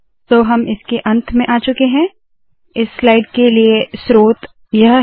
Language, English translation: Hindi, So we have come to the end of, so this is the source for this slide